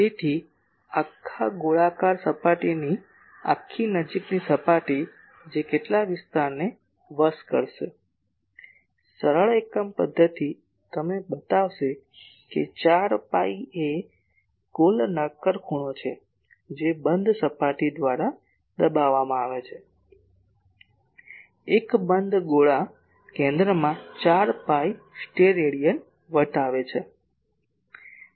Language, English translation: Gujarati, So, the whole spherical surface whole close surface that will subtend how much area ; simple unitary method will show you that 4 pi Stedidian is the total solid angle that is subtended by a closed surface , a closed sphere will subtend at the centre 4 pi Stedidian